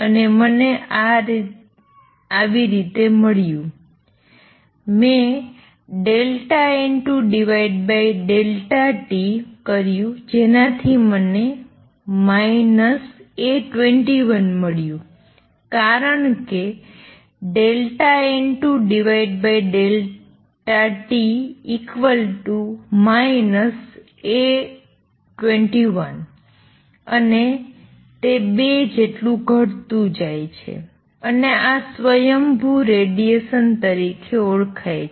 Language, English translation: Gujarati, How I got this is like this I divided delta N 2 by delta t and it came out to be A 21, a minus sign because delta N 2 by delta t is negative and 2 is decreasing and this is known as spontaneous radiation